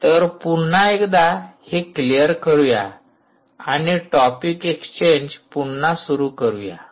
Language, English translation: Marathi, so now lets clear again and now open up topic exchange